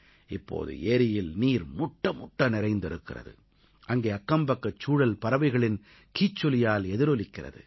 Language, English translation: Tamil, The lake now is brimming with water; the surroundings wake up to the melody of the chirping of birds